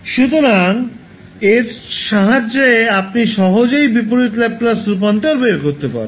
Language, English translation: Bengali, So, with this you can easily find out the inverse Laplace transform